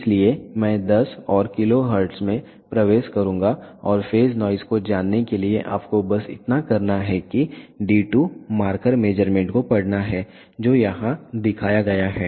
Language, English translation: Hindi, So, I will enter 10 and kilohertz and all you have to do to know the phase noise is to read the d 2 marker measurement which is shown over here